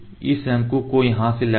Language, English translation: Hindi, So, here is the cone